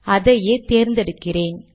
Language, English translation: Tamil, So let me select it